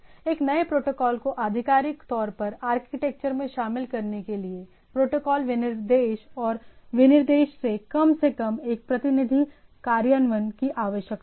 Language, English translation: Hindi, So, in order for a new protocol to officially included in the architecture; there needs to be both protocol specification, at least one preferably two representation in the implementations